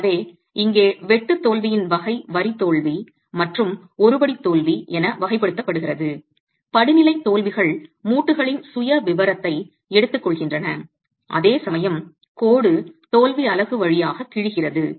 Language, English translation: Tamil, So, the type of shear failure here is classified as line failure and a stepped failure is taking the profile of the joints, whereas the line failure just rips through the unit